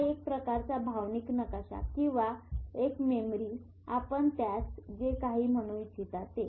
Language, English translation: Marathi, This is also a sort of emotional map or a memory or whatever you want to call it